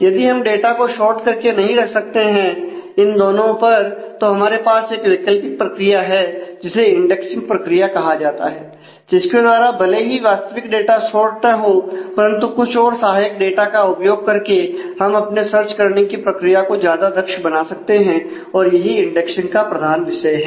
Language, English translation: Hindi, So, if we cannot actually keep the data sorted on both and therefore, this is just an alternate mechanism called the indexing mechanism through which even though the original data is not sorted by maintaining some auxiliary data we can actually make our search mechanism more efficient and that is the core idea of indexing